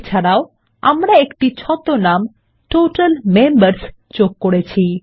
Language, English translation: Bengali, Also we have added an Alias Total Members